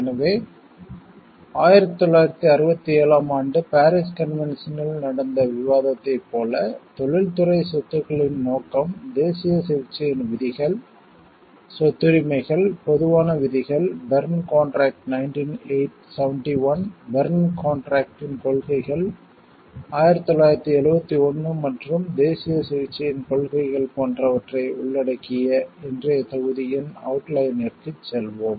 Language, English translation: Tamil, So, now we will go into the like out outline of today s module, which consist of, like the it discussion will be on Paris convention 1967, the scope of the industrial property, the provisions of national treatment, rights of property, common rules, the Berne contract 1971, the principles of the Berne contract 1971 and principles of national treatment Then we will go for the principle of automatic protection, and principle of independence of protection